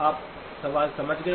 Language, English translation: Hindi, You understood the question